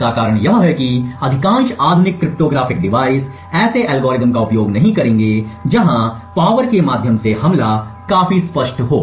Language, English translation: Hindi, The reason being is that most modern day cryptographic devices would not be using such algorithms where the leakage through the power is quite obvious